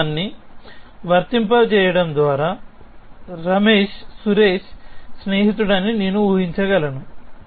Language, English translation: Telugu, I could infer that Ramesh is the friend of Suresh essentially by applying this rule